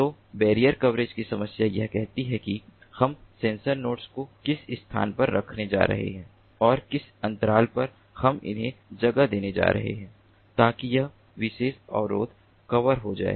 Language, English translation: Hindi, so the barrier coverage problem says that how we are going to place the sensor nodes and at what interval we are going to place them so that this particular barrier is covered